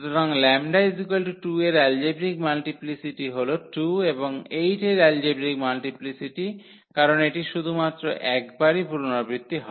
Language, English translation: Bengali, So, that I the algebraic multiplicity of this 2 is 2 and the algebraic multiplicity of 8 because this is repeated only once